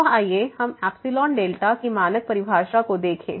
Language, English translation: Hindi, So, let us just go through the standard definition of epsilon delta